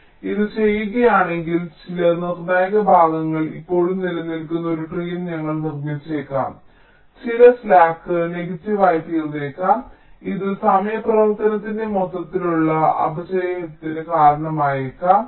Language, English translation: Malayalam, if we do this, then we may be constructing a tree where some critical parts still remains, some slack may become negative, which may result in the overall degradation in the timing performance